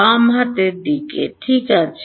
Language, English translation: Bengali, Left hand sides ok